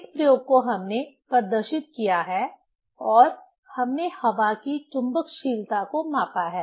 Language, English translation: Hindi, This experiment we have demonstrated and we have measured the permeability of air